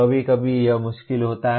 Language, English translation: Hindi, Sometimes it is difficult